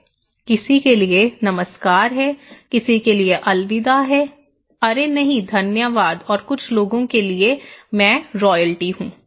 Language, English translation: Hindi, For someone is hello, for someone is goodbye, oh no, no, no thank you and for some people, I am royalty